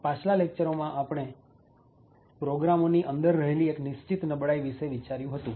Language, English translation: Gujarati, So, in the previous lectures we had actually looked at one particular vulnerability in programs